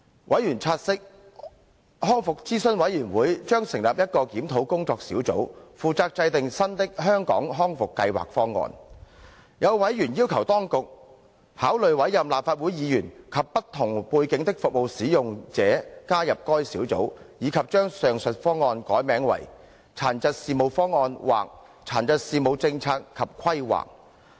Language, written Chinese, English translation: Cantonese, 委員察悉，康復諮詢委員會將成立一個檢討工作小組，負責制訂新的"香港康復計劃方案"。有委員要求當局，考慮委任立法會議員及不同背景的服務使用者加入該小組，以及將上述方案改名為"殘疾事務方案"或"殘疾事務政策及規劃"。, Noting that a Review Working Group would be established under the Rehabilitation Advisory Committee to take forward the task of formulating the new Hong Kong Rehabilitation Programme Plan RPP some members asked the Administration to consider appointing Legislative Council Members and service users with different background to the Review Working Group and consider renaming RPP as Plan on issues relating to disabilities or Policies and planning for issues relating to disabilities